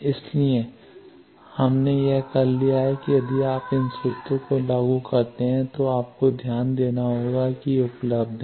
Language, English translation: Hindi, So, we have done this and if you apply these formulas you will have to note actually these are available